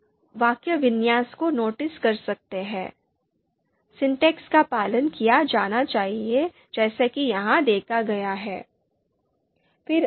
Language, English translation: Hindi, You can notice the syntax, the syntax has to be followed as is, so you can see here